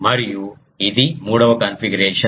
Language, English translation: Telugu, And this is this this third configuration